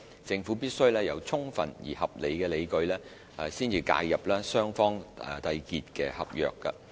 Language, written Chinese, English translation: Cantonese, 政府必須有充分而合理的理據，才介入雙方締結的合約。, The Government must have sufficient and reasonable grounds before intervening in a contract entered into between two parties